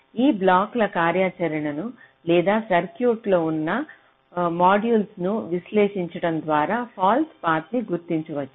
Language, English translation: Telugu, ok, so false path can be identified by analyzing the functionality of this blocks or the modules that are there in the circuit